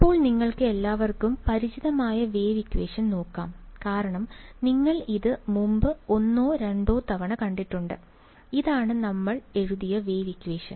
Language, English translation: Malayalam, Now let us look at the wave equation that you are all already familiar with because you have seen it once or twice before, this is the wave equation that we had written right